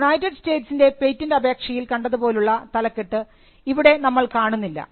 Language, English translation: Malayalam, you do not find the headings which you found in the US patent application